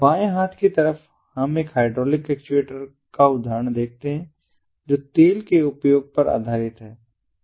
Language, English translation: Hindi, on the left hand side we see an example of an hydraulic actuator which is based on the use of oil